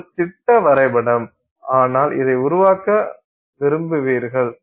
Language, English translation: Tamil, This is just a schematic but this is what you will want to create